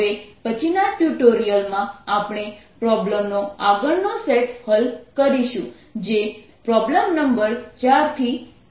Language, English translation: Gujarati, in the next tutorial we'll solve the next set of problems, that is, from problem number four to nine